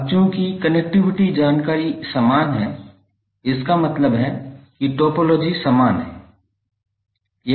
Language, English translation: Hindi, Now since connectivity information is same it means that topology is same